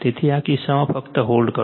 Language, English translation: Gujarati, So, in this case just, just hold on ,